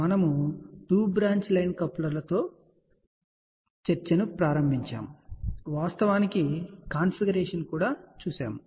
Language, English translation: Telugu, We had started with a 2 branch line coupler, we actually saw the configuration